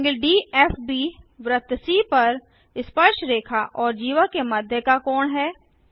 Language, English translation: Hindi, ∠DFB is angle between tangent and chord to the circle c